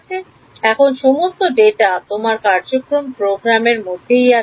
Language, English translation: Bengali, So, now, all your data is in your program